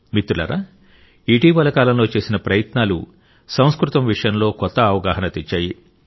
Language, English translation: Telugu, the efforts which have been made in recent times have brought a new awareness about Sanskrit